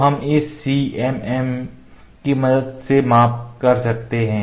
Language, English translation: Hindi, So, we can measure with the help of this CMM